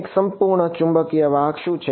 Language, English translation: Gujarati, What is a perfect magnetic conductor right